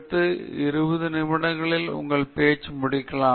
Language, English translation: Tamil, If there’s a 20 minute talk, may be take 12 slides and complete your talk in about 20 minutes